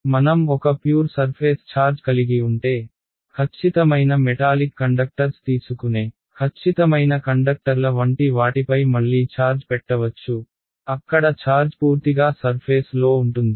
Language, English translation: Telugu, On the other hand if I have a pure surface charge that can again happen for like perfect conductors who take a perfect metallic conductor put charge on it, where does a charge live purely on the surface right